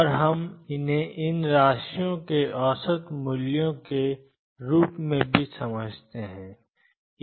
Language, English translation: Hindi, And we also understood this as the average values of these quantities